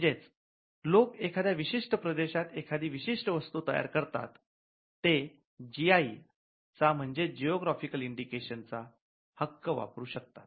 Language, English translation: Marathi, So, the people who are able to manufacture from that particular region can claim a GI a geographical indication